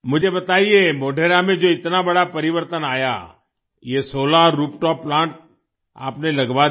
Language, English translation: Hindi, Tell me, the big transformation that came in Modhera, you got this Solar Rooftop Plant installed